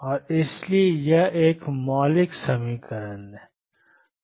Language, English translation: Hindi, And therefore, it is a fundamental equation